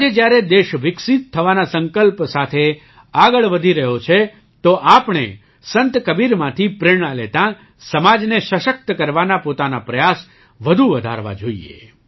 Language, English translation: Gujarati, Today, when the country is moving forward with the determination to develop, we should increase our efforts to empower the society, taking inspiration from Sant Kabir